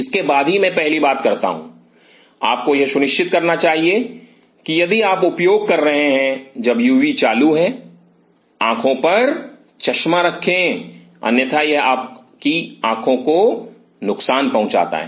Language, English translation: Hindi, Followed by that I get in first thing you should do ensure that if you are using when the UV is on put on the goggles otherwise it damages your eyes